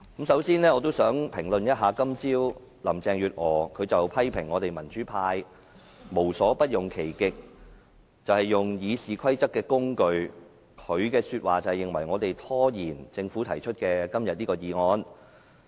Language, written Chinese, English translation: Cantonese, 首先，我也想評論今早林鄭月娥批評我們民主派無所不用其極，利用《議事規則》作為工具，以圖拖延政府今天提出的議案。, Before that I would like to comment on Mrs Carrie LAMs criticism of the pro - democracy camp for using our utmost endeavours including using RoP as a tool to delay this Government motion today